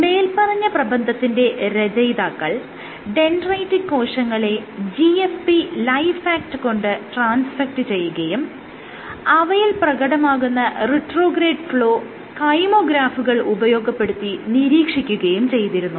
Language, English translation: Malayalam, So, what the authors had done was transfected cells, dendritic cells, with GFP LifeAct and monitored the retrograde flow and using kymographs